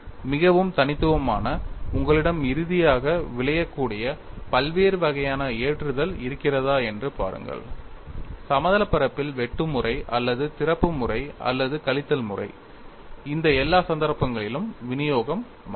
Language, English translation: Tamil, And something very unique see if you have a different types of loading with finally result in plane shear mode or opening mode or tearing mode in all these cases the distribution does not change